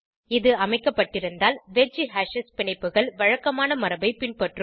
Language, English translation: Tamil, If set, the wedge hashes bonds will follow the usual convention